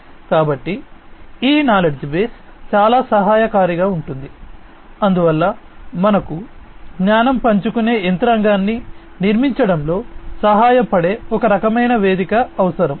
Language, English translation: Telugu, So, this knowledge base will be very helpful, so that is why we need some kind of a platform that can help build a knowledge sharing mechanism